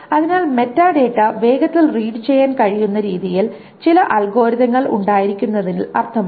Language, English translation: Malayalam, So it makes sense to have some algorithms that can read the metadata faster